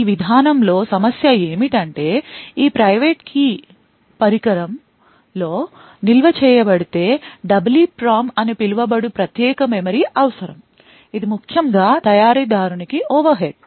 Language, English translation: Telugu, The problem with this approach is that this private key is stored in the device requires special memory known as EEPROM, which is considerably overhead especially to manufacturer